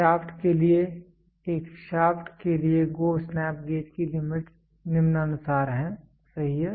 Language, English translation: Hindi, For a shaft for a shaft the limits of GO snap gauge is as follows, right